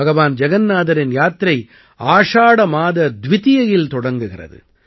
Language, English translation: Tamil, Bhagwan Jagannath Yatra begins on Dwitiya, the second day of the month of Ashadha